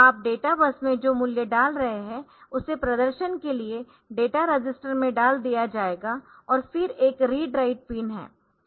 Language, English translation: Hindi, So, it will be it will be the value that you are putting on to the data base we will be put into the data register and for display and there is a read write pin